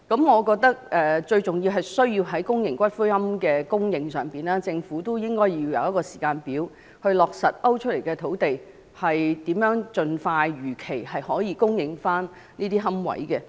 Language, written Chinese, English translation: Cantonese, 我認為最重要是，政府在公營骨灰龕的供應上，應設立時間表，以落實被勾出來的土地如何能如期供應龕位。, I think that the most important thing is for the Government to set a timetable on the supply of public columbaria and confirm the provision of niches at designated sites as scheduled